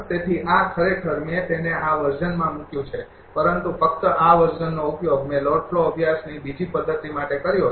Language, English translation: Gujarati, Therefore, this actually I have put it in this version, but only this version I have used for the second method of the load flow studies